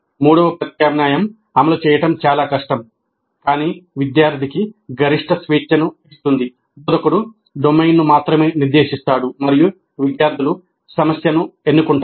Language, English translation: Telugu, The third alternative, which is probably difficult to implement, but which gives the maximum freedom to the student, is that instructor specifies only the domain and the students select the problem